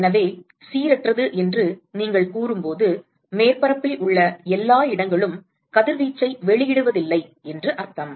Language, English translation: Tamil, So, when you say non uniform you really mean that not all locations on the surface is emitting radiation